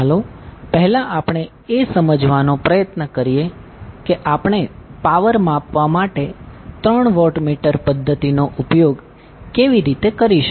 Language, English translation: Gujarati, Let us first try to understand how we will use three watt meter method for power measurement